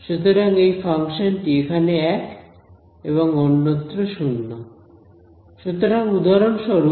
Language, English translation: Bengali, So, this function is 1 over here and 0 elsewhere n 0